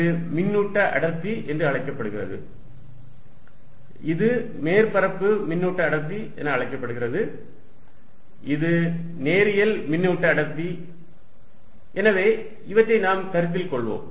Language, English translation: Tamil, This is known as the charge density, this is known as surface charge density, this is linear charge density, so let us consider these cases